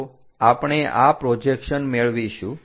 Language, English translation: Gujarati, this is the way we obtain this projections